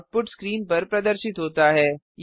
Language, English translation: Hindi, The output is displayed on the screen